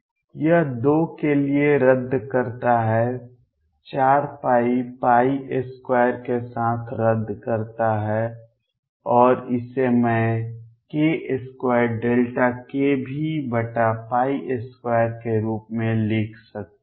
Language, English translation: Hindi, This cancels for 2, 4 pi cancels at pi square and this I can write as k square delta k v over pi square